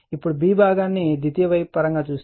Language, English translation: Telugu, Now, B part is referred to the secondary side